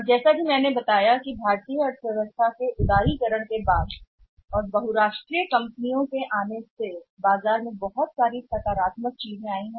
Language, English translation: Hindi, And as I told you that after the liberalisation of Indian economy and the influx of the multinational companies it has brought many things very positive things in the market